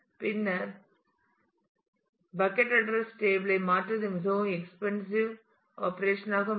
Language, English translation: Tamil, And then changing the bucket address table will become a quite an expensive operation